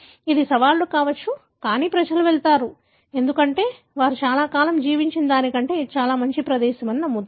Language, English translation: Telugu, It could be challenges, but people go, because they believe that could be a better place than they have been living so long